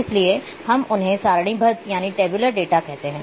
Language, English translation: Hindi, So, we call them as tabular data